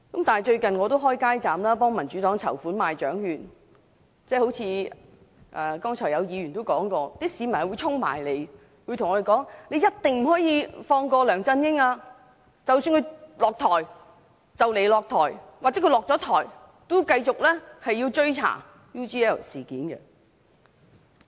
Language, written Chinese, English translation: Cantonese, 我最近協助民主黨開設街站賣獎券籌款，正如剛才議員所說，有市民跑過來對我們說，一定不可以放過梁振英，即使他快將下台或已經下台，都要繼續追查 UGL 事件。, Recently I helped in selling raffle tickets at a street booth to raise funds for the Democratic Party . As a Member said earlier members of the public approached us telling us not to let LEUNG Chun - ying get off the hook even although he would step down soon . They asked us to continue to pursue the inquiry on the UGL incident